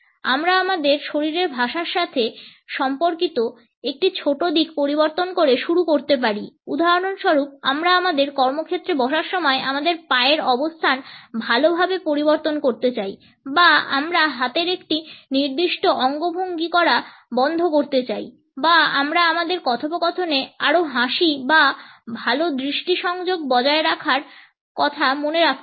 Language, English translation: Bengali, We can start by changing a smaller aspects related with our body language for example, we may want to change the position of legs well while we sit in our workplace or we want not to use a particular hand gesture or we may like to remember to have more smiles or maintain a better eye contact in our conversation